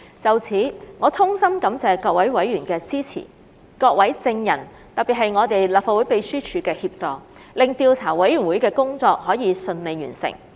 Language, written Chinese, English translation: Cantonese, 就此，我衷心感謝各位委員的支持，以及各位證人，特別是立法會秘書處的協助，使調查委員會的工作可順利完成。, In this regard I sincerely thank members for their support and thank all witnesses especially the Legislative Council Secretariat for their assistance so that the work of the Investigation Committee can be accomplished smoothly